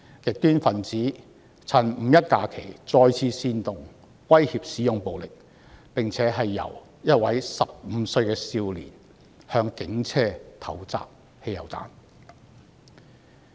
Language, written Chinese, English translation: Cantonese, 極端分子趁"五一"假期再次煽動，威脅使用暴力，更有一名15歲少年向警車投擲汽油彈。, Extremists made use of the 1 May holiday to incite people and threaten to use violence again . Worse still a 15 - year - old boy threw petrol bomb at a police car